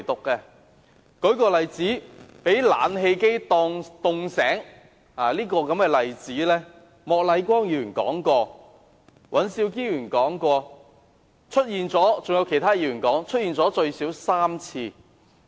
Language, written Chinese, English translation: Cantonese, 舉例，被冷氣冷醒的例子，莫乃光議員、尹兆堅議員和其他議員均曾提及，出現了最少3次。, For instance the example of waking up cold because of strong air conditioning was cited at least three times by Mr Charles Peter MOK Mr Andrew WAN and other Members